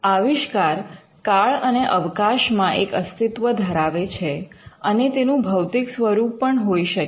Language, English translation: Gujarati, The invention will exist in time and space, and an invention can have physical embodiments